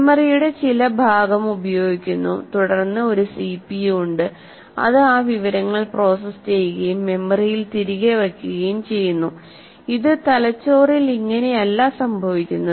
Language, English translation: Malayalam, There is some part of the memory is used and then there is a CPU, then you process that information and put it back in the memory